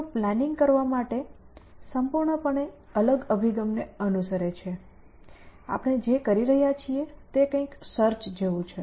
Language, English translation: Gujarati, So, they follow a entirely different approach to planning, what we are doing is something like search